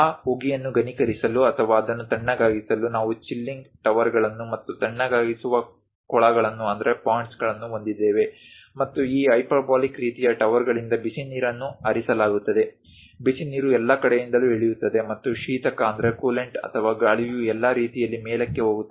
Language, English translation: Kannada, To condense that steam or to cool that, we will have chilling towers and chilling ponds; and hot water will be dripped from these hyperbolic kind of towers, the hot water comes down all the way and coolant or air goes all the way up